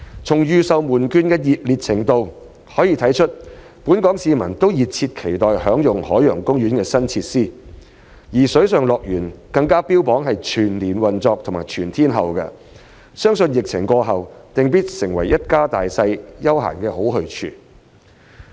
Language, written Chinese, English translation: Cantonese, 從預售門票的熱烈程度可見本港市民都熱切期待享用海洋公園的新設施，而水上樂園更加標榜全年及全天候運作，相信疫情過後，定必成為一家大小的休閒好去處。, From the level of enthusiasm during the pre - sale of tickets we can tell that Hong Kong people are eagerly looking forward to enjoying OPs new facilities . Water World even boasts its year - round and all - weather operation . I believe it will certainly become a popular leisure spot for families when the epidemic is over